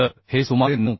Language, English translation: Marathi, 1 so this will be around 9